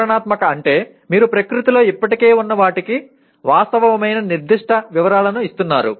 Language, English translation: Telugu, Descriptive means you are giving factual specific details of what already exist in nature